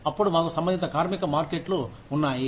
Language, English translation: Telugu, Then, we have relevant labor markets